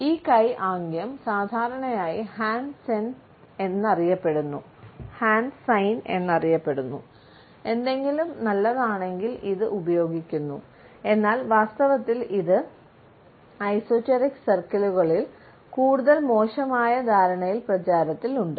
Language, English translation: Malayalam, This hand gesture is commonly known as the hand sign, for when something is good, but in reality it has been popularized, because of it is more sinister understanding in esoteric circles